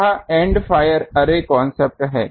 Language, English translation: Hindi, This is the End fire Array concept